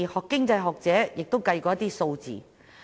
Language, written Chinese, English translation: Cantonese, 經濟學者也曾進行計算。, Some scholars of economics have also done some computations